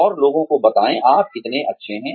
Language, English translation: Hindi, And, let people know, how good you are